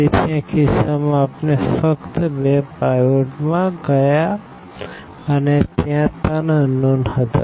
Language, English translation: Gujarati, So, in this case we got in only two pivots and there were three unknowns